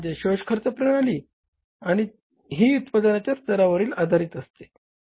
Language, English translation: Marathi, Point number one, absorption costing method is dependent on the level of output